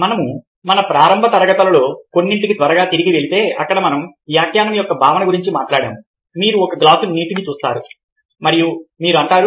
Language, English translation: Telugu, if we quickly go back to some of our very early classes where we talked about the concept of interpretation, you see a glass of water and you say that: what do i see